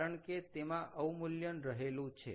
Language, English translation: Gujarati, we know that because there is a depreciation